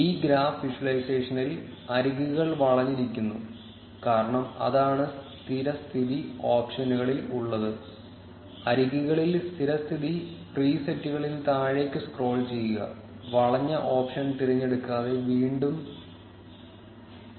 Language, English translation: Malayalam, In this graph visualization, the edges are curved, because that is what is present in the default options; scroll down in the presets default in edges and unselect the curved option again click on refresh